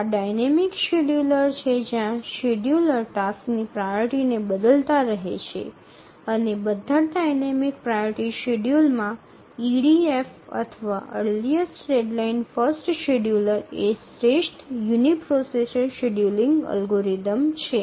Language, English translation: Gujarati, So, these are the dynamic scheduler where the scheduler keeps on changing the priority of the tasks and of all the dynamic priority schedulers, the EDF or the earliest deadline first scheduler is the optimal uniprocessor scheduling algorithm